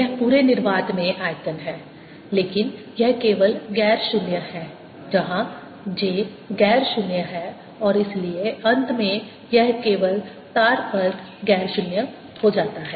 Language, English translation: Hindi, this is volume over the entire universe or entire space here, but is non zero only where j is non zero and therefore in the end it becomes non zero only over the wire